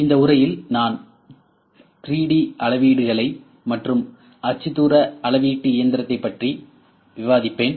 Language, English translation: Tamil, In this lecture, I will discuss 3D measurements and coordinate measuring machine